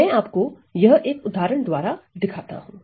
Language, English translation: Hindi, So, I will show you with an example